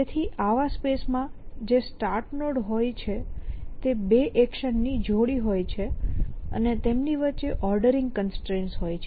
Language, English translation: Gujarati, So the starting node in such space is this pare of 2 actions and the ordinary constrain between them